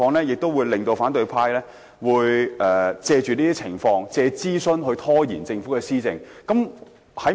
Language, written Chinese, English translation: Cantonese, 我相信反對派會藉諮詢拖延政府的施政。, I believe the opposition camp will make use of consultation to delay policy implementation by the Government